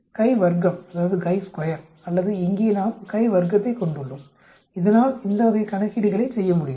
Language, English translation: Tamil, chi square or here we have the chi square which can do this type of calculations